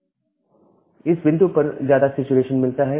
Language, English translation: Hindi, Now at this point, the things gets mostly saturated